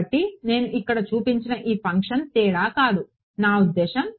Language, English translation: Telugu, So, this function that I have shown here is not difference is not I mean it is